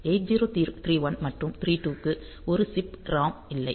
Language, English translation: Tamil, there is no one chip ROM for 8031 and 32